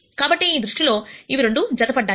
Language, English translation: Telugu, So, in that sense they are both coupled